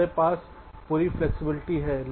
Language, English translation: Hindi, we have entire flexibility